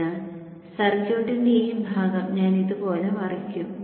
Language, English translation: Malayalam, So what I will do I will flip this portion of the circuit like this